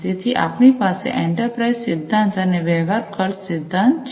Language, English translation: Gujarati, So, we have the enterprise theory, and then we have the transaction cost theory